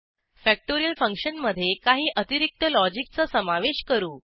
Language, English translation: Marathi, Let us add some more logic to the factorial function